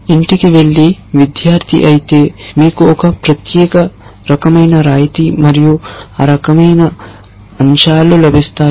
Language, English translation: Telugu, If you are a student going home you get a certain kind of concession and that kind of stuff